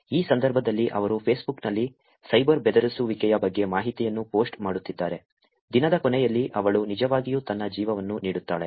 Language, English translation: Kannada, In this case, she is being posting information about being cyber bullied done on Facebook, at the end of the day, she actually gives her life